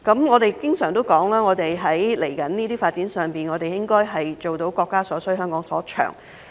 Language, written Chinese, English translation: Cantonese, 我們經常指出，在接下來這些發展上應該做到國家所需、香港所長。, As we have often pointed out what comes next in these developments is to meet the needs of the country with the strengths of Hong Kong